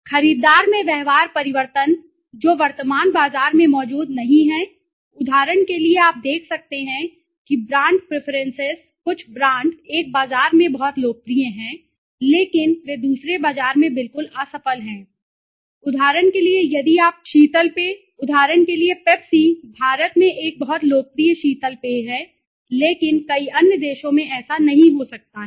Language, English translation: Hindi, Behavioral change in the buyer which is not present in the current market right, for example, you can see the brand preferences some brands are very popular in one market but they are absolutely a failure in another market okay, for example you see if you look at there are several soft drinks, for example, Pepsi is a very popular soft drink in India right but it might not be so in many other countries okay